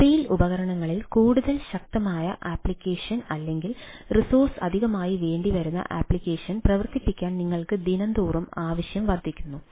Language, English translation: Malayalam, things are increasing that you want to run more stronger application or resource hungry application on the mobile devices